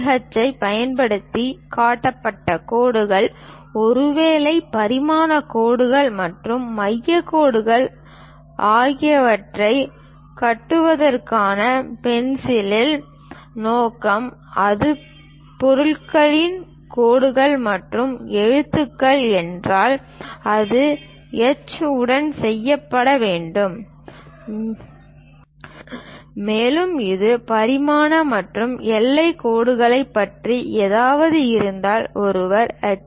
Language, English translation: Tamil, And purpose of the pencil to construct lines, perhaps dimension lines and center lines constructed using 2H; if it is object lines and lettering, it has to be done with H and if it is something about dimensioning and boundary lines, one has to use HB pencil